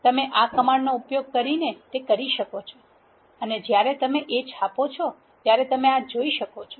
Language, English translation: Gujarati, You can do that using this command and when you print A you can see this